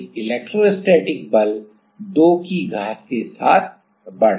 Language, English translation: Hindi, But, the electrostatic force; electrostatic force is increasing with this power of 2